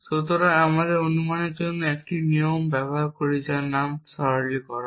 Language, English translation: Bengali, So, we use 1 rule for inference called simplification